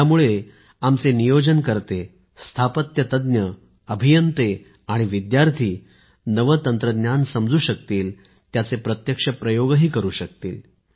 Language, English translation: Marathi, Through this our planners, Architects, Engineers and students will know of new technology and experiment with them too